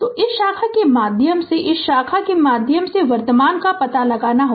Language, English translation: Hindi, So, find out the your current through this branch, and current through this branch right